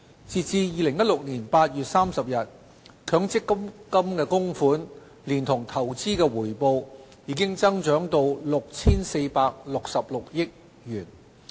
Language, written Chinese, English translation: Cantonese, 截至2016年8月，強積金供款連同投資回報已增長至 6,466 億元。, As at August 2016 MPF contributions together with investment returns reached 646.6 billion